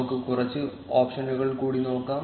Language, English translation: Malayalam, Let us look at few more options